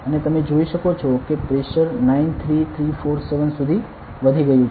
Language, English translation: Gujarati, And you can see that the pressure has increased to 93347